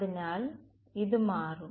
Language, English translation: Malayalam, So, its somewhat